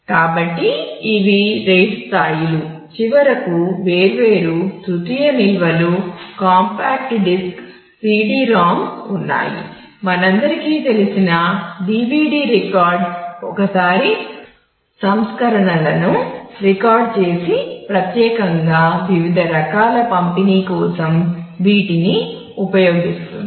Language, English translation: Telugu, And so, these are the RAID levels then of course, finally there are different tertiary storages compact disk CD ROM we all are familiar that DVD the record once versions where you just record and use that particularly for different kind of distribution these